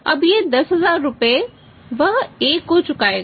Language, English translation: Hindi, Now this 10000 rupees he will pay and he will pay to the A